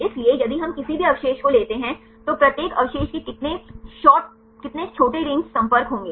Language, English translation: Hindi, So, if we take any residue how many short range contacts each residue will have